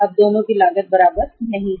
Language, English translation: Hindi, Now both the costs are not equal